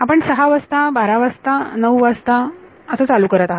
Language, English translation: Marathi, You are starting at 6 o’ clock, 12 o’ clock, 9 o’ clock ok